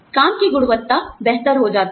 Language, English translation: Hindi, The quality of work becomes, much better